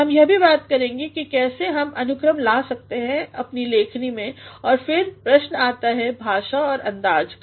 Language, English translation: Hindi, We shall also be talking about how we can bring order into our writing and then comes the question of language or style